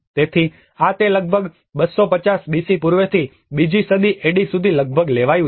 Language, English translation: Gujarati, So, this is how it took almost about from pre 250 BC onwards till the 2nd century AD